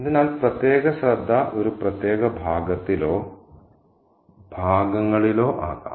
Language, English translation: Malayalam, So, the specific attention could be on a particular passage or a particular set of passages as well